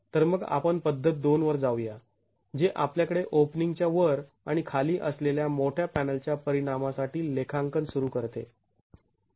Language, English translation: Marathi, So, we then go to method two which starts accounting for the effect of the large panel that we had above and below the openings